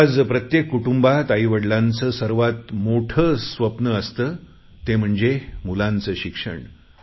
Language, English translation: Marathi, Today in every home, the first thing that the parents dream of is to give their children good education